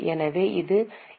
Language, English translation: Tamil, So what it can be